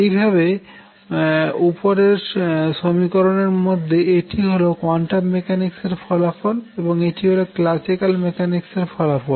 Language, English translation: Bengali, Similarly in the equation above, this is a quantum mechanical result and this is a classical result